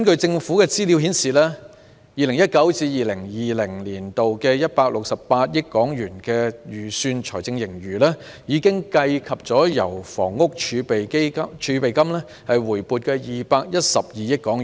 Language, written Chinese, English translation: Cantonese, 政府資料顯示 ，2019-2020 年度的168億元的預算財政盈餘，已計及由房屋儲備金回撥的212億元。, According to government information the estimated fiscal surplus of 16.8 billion in 2019 - 2020 has taken into account the 21.2 billion Housing Reserve which has been brought back to the government accounts